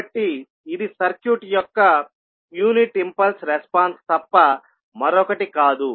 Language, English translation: Telugu, So this would be nothing but the unit impulse response of the circuit